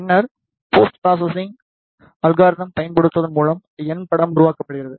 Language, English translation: Tamil, And, then by using the post processing algorithms the N image is created